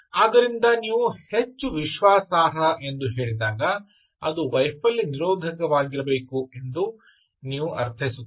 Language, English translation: Kannada, so when you say highly reliable, you actually mean it should be failure resistant